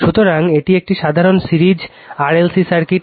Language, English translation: Bengali, So, this is a simple series RLC circuit